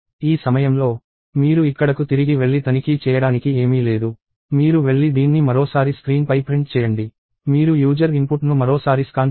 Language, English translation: Telugu, At this point, you go back here and there is nothing to check; you go and print this on the screen once more; you scan the user input once more